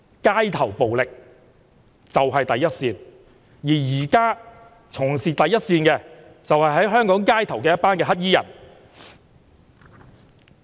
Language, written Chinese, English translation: Cantonese, 街頭暴力是第一線，而現在從事第一線的，便是香港街頭的黑衣人。, The first line is street violence . At present black - clad people in the streets are at the frontline